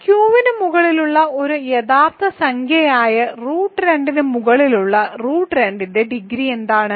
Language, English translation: Malayalam, What is the degree of root 2 over root 2 which is a real number over Q